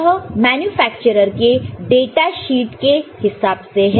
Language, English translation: Hindi, This is according to manufacturer’s datasheet